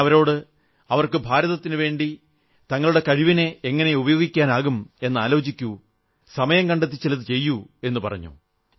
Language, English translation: Malayalam, I had appealed to those young people to think over how could they use their talent to India's benefit and do something in that direction whenever they found time